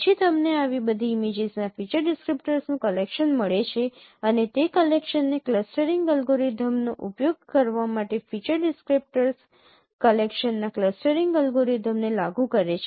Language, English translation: Gujarati, Then you get a collection of feature descriptors from all such images and use that collection in clustering algorithm, apply a clustering algorithm, clustering to that collection of feature descriptors